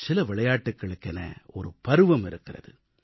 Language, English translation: Tamil, Some games are seasonal